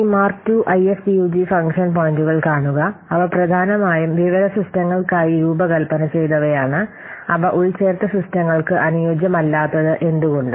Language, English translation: Malayalam, See this MIRV 2 and IFPUG function points they were mainly designed for information systems and hence they are not suitable for embedded systems